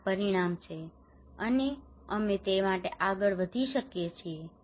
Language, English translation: Gujarati, This is the outcome, and we can go ahead for that